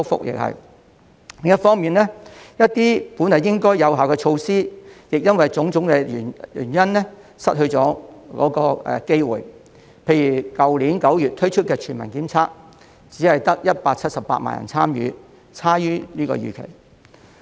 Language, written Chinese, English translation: Cantonese, 另一方面，一些本來應該有效的措施因為種種原因失去了機會，例如去年9月推出的全民檢測只得178萬人參與，差於預期。, On the other hand some measures which should have been effective have failed to work due to various reasons . For instance only 1.78 million people participated in the Universal Community Testing Programme last September . The participation rate was lower than expected